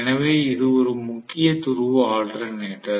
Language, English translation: Tamil, So this is a salient pole alternator